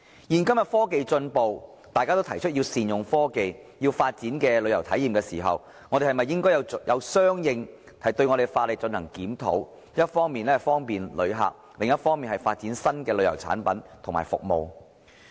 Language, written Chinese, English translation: Cantonese, 現今科技進步，當大家提出要善用科技、要發展新旅遊體驗時，我們是否應該相應檢討法例，一方面方便旅客，另一方面發展新的旅遊產品和服務？, Given technological advancements nowadays when we say we should make optimal use of technology and develop new tourism experiences should we review the legislation correspondingly so as to provide visitors with convenience on the one hand and develop new tourism products and services on the other?